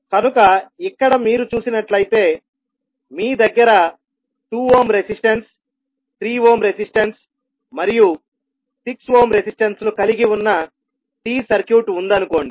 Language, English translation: Telugu, So here if you see you have the T circuit which has one 2 ohm resistance, 3 ohm resistance and 6 ohm resistance